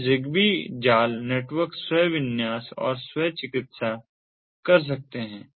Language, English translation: Hindi, now the zigbee mesh networks are self configuring and self healing